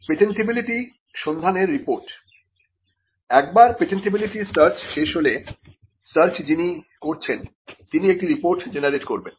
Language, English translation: Bengali, The patentability search report; Once the patentability searches are done, the searcher would generate a report